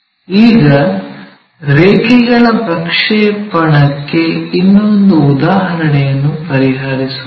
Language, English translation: Kannada, Now, let us solve one more problem for our projection of lines